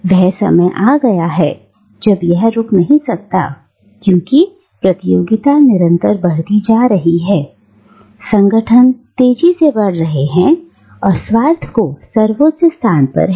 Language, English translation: Hindi, The time comes when it can stop no longer, for the competition grows keener, organisation grows vaster, and selfishness attains supremacy